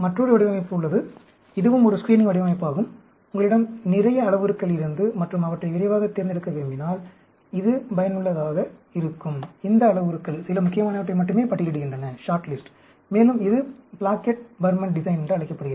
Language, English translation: Tamil, There is another design which is also a screening design, which is useful if you have lot of parameters, and you want to screen them quickly, these parameters, shortlist only a few important ones, and that is called a Plackett Burman design, Plackett Burman design